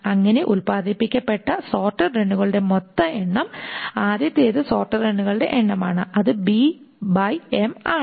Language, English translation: Malayalam, So, the total number of sorted runs that is produced, the first thing is that number of sorted runs that is produced is your B by M